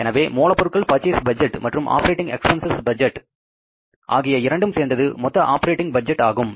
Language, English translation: Tamil, So, some total of the raw material budget and operating expenses budget will give you the total operating budget